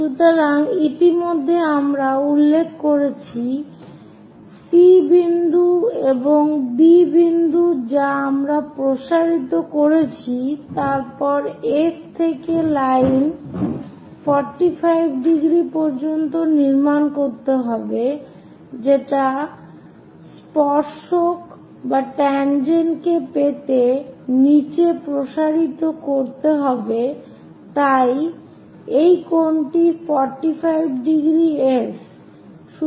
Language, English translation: Bengali, So, already we have noted C point and B point this we have extended, then from F a 45 degree line we have to construct it extend all the way down to meet tangent, so this angle is 45 degrees